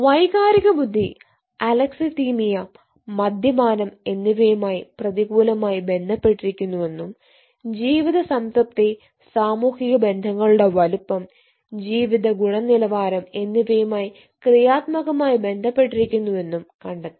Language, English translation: Malayalam, ei was found to be negatively associated with alexithymia and alcohol consumptions and positively associated with life satisfaction and social network size and quality